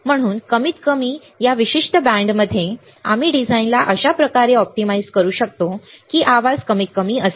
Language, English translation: Marathi, So, at least in this particular band, we can optimize the design such a way that the noise is minimum